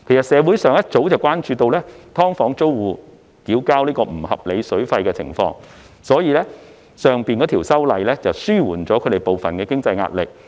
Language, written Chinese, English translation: Cantonese, 社會上早已關注到"劏房"租戶要向業主繳交不合理水費的情況，所以上述修例可紓緩他們部分經濟壓力。, The community has long been concerned that SDU tenants are required to pay unreasonable water charges to landlords thus the aforesaid legislative amendment can relieve some of their financial pressure